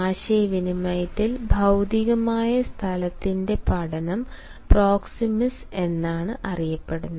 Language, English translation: Malayalam, the study of physical space in communication is called proxemics